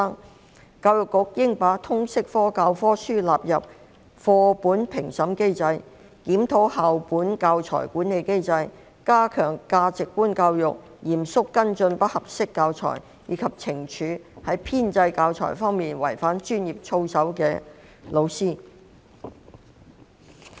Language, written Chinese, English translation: Cantonese, 有委員建議，教育局應把通識科教科書納入課本評審機制、檢討有關校本教材管理機制、加強推廣價值觀教育、嚴肅跟進不合適教材，以及懲處在編製教材方面違反專業操守的教師。, There were suggestions that the Education Bureau should include Liberal Studies textbooks in the textbook review mechanism review the school - based mechanism on teaching materials strengthen the promotion of values education seriously follow up inappropriate teaching materials and take punitive actions against professional misconduct of teachers in developing teaching materials